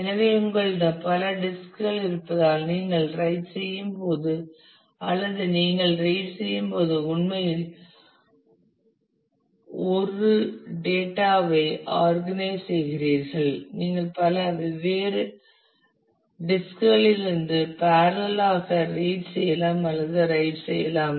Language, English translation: Tamil, So, because you have multiple disks so, you organize a data in such a way that when you are writing or you are reading actually you can parallelly read or write from multiple different disks